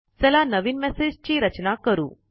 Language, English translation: Marathi, Lets compose a new message